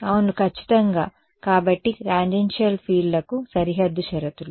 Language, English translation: Telugu, Yeah exactly, so boundary conditions for tangential fields